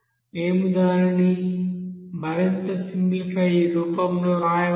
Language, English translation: Telugu, We can write it finally as more simplified form